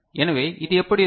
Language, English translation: Tamil, So, how does it look like